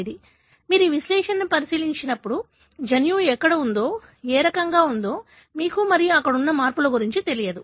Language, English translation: Telugu, So, it is when you look into this analysis, you really do not know where is the gene and what kind of changes that are present there